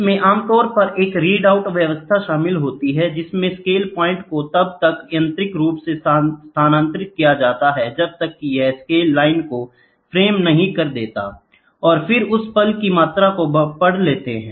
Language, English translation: Hindi, It typically involves a read out system in which an index point is moved mechanically until it frames the scale line, and then reads the amount of the moment that it is taken place